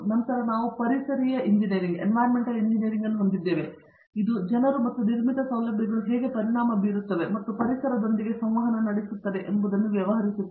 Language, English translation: Kannada, Then we have Environmental engineering, which deals with how people and constructed facilities effect and interact with the environment